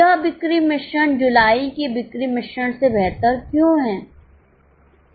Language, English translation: Hindi, Why this sales mix is superior to sales mix of July